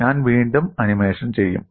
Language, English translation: Malayalam, I will do the animation again